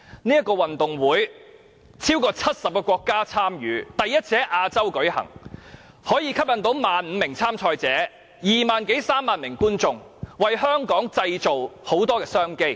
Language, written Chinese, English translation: Cantonese, 這個運動會超過70個國家參與，第一次在亞洲舉行，可以吸引 15,000 名參賽者，二萬多三萬名觀眾，為香港製造眾多商機。, More than 70 countries will participate in the Gay Games . The Gay Games in 2022 will be the first of its kind to be hosted in Asia . It will attract 15 000 players and 20 000 to 30 000 spectators